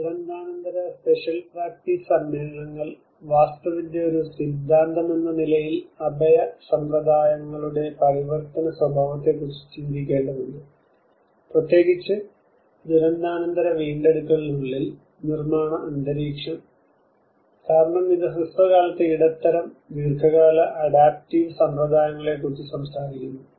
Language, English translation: Malayalam, Post disaster spatial practice assemblages; there is a strong need that architecture as a theory has to contemplate on the transformation nature of the shelter practices, the built environment especially in the post disaster recovery because it talks about both as a short term the medium and long term adaptive practices